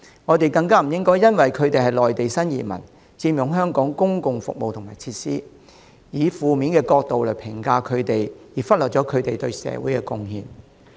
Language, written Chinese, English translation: Cantonese, 我們更不應該因為內地新移民使用香港公共服務及設施，就以負面角度評價他們，忽略他們對社會的貢獻。, More importantly we should not see these people negatively and overlook their contributions to society by saying that new Mainland arrivals are using public services and facilities in Hong Kong